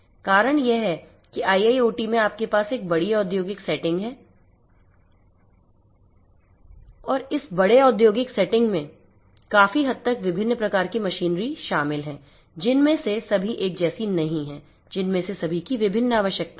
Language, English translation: Hindi, The reason is that in IIoT you have a large industrial setting and in this large industrial setting consisting of largely different types of machinery not all of which are homogeneous all of which are catering to different different requirements and so on